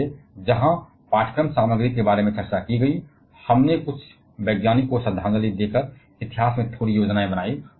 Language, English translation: Hindi, So, where discussed about the course content, we planned a little bit in the history by paying homage to the some of the scientist